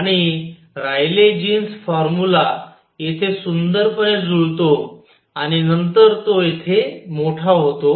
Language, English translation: Marathi, And the Rayleigh Jeans formula matches beautifully out here and, but then it becomes large here